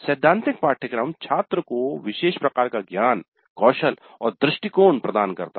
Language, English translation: Hindi, The theory course gives certain kind of knowledge, skills and attitudes to the student